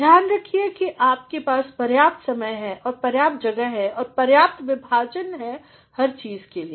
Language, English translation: Hindi, See to it that you have sufficient time and sufficient space and sufficient division for everything